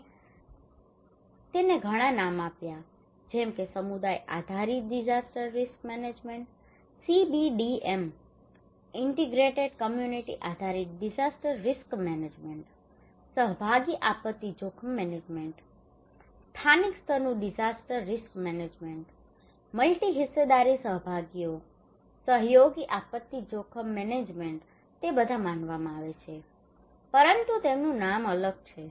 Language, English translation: Gujarati, We give it so many names for example community based disaster risk management CBDM, integrated community based disaster risk management, participatory disaster risk management, local level disaster risk management, multi stakeholder participations, collaborative disaster risk management they all are considered to be participatory, but they have a different name